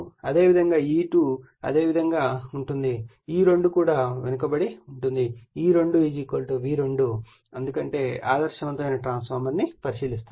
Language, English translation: Telugu, Similarly, E2 also will be the same way E2 also will be lagging and E2 = V2 because loss your what you call we are we have considering an ideal transformer right